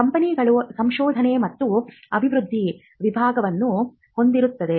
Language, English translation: Kannada, And companies which have an research and development department